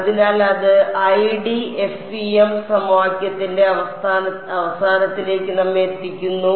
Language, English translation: Malayalam, So, that brings us to an end of the 1D FEM equation